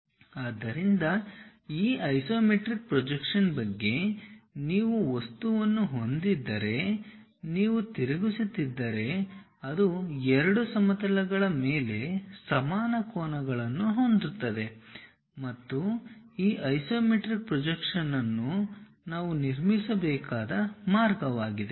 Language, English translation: Kannada, So, all about this isometric projection is if you have an object if you are rotating in such a way that it makes equal angles on both the planes that is the way we have to construct this isometric projections